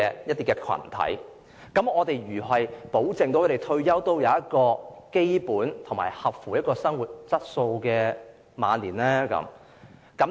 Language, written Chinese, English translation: Cantonese, 如是者，該如何保證他們在退休後可享有符合基本生活質素的晚年呢？, In that case how can we ensure that they can enjoy a basic quality of life in their twilight years after retirement?